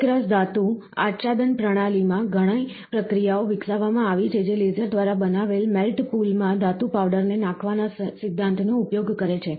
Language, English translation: Gujarati, The fused metal deposition system; a number of processes have been developed that uses the principle of blowing metal powders into the melt pool created by the laser